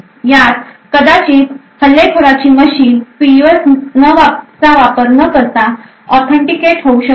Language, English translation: Marathi, In this may be attacker machine can get authenticated without actually having a PUF